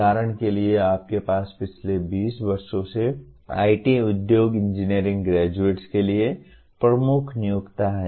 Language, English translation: Hindi, For example you have last 20 years IT industry has been the dominant employer of the engineering graduates